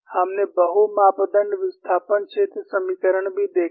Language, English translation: Hindi, We also saw multi parameter displacement field equations